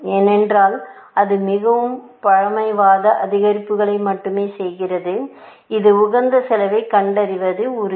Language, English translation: Tamil, Because that is only making very conservative increments; it is guaranteed to find the optimal cost